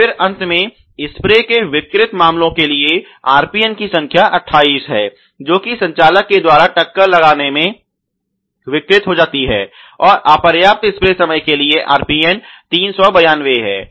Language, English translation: Hindi, And then finally, the RPN of 28 for the spray head deformed cases due to the impact on the operator 392 for these spray time is insufficient